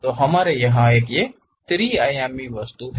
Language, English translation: Hindi, So, we have a three dimensional object here